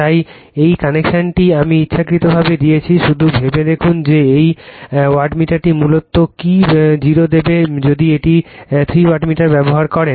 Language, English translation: Bengali, So, this connection I have given intentionally just you think yourself that this wattmeter will it basically, 0 if you go for a three wattmeter